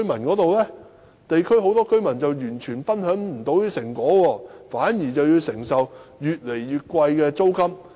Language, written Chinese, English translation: Cantonese, 很多地區居民完全未能分享這些成果，反而要承受越來越貴的租金。, In fact many residents in the districts can in no way share these fruits and on the contrary they are bearing increasingly higher rents